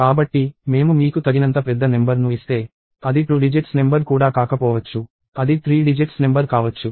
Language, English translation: Telugu, So, if I give you a sufficiently large number, it may not even be a two digit number; it may become a three digit number